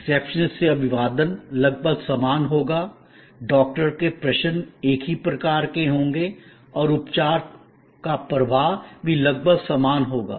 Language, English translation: Hindi, The greeting from the receptionist will be almost same, the Doctor’s questions will be of the same type and the flow of treatment will also be almost similar